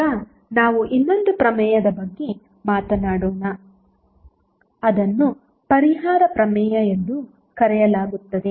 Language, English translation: Kannada, Now, let us talk about another theorem, which is called as a compensation theorem